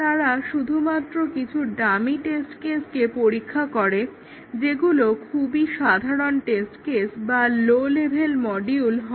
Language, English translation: Bengali, They just test some dummy test cases here, very simple test cases or low level programs